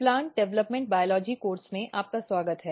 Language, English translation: Hindi, Welcome to Plant Developmental Biology course